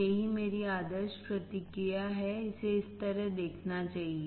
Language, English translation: Hindi, This is my ideal response, it should look like this right